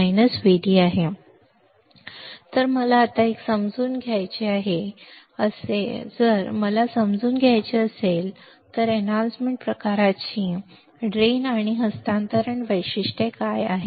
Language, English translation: Marathi, Now, if I want to understand, what is the drain and transfer characteristics of an enhancement type